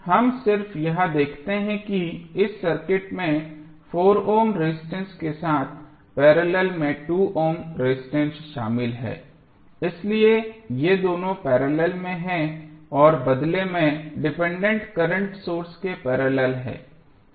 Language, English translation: Hindi, We just see that this circuit contains 2 ohm resistance in parallel with 4 ohm resistance so these two are in parallel and they in turn are in parallel with the dependent current source